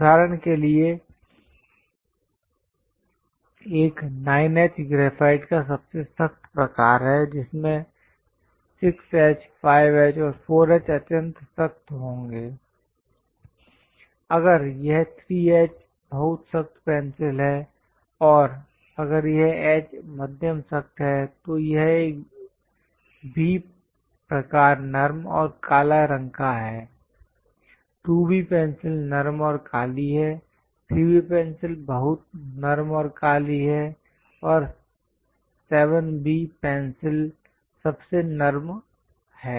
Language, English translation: Hindi, For example, a 9H is very hardest kind of graphite one will having 6H, 5H and 4H extremely hard; if it is 3H very hard pencil and if it is H moderately hard, if it is a B type moderately soft and black, 2B pencils are soft and black, 3B pencils are very soft and black and 7B pencils softest of all